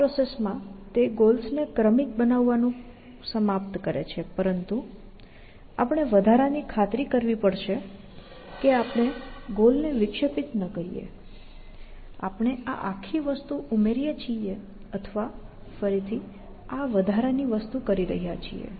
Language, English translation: Gujarati, In the process, it ends up serializing the goals, but we have to be extra sure that we do not disturb the goal; so that, we add this whole thing or doing this extra thing, all over again, essentially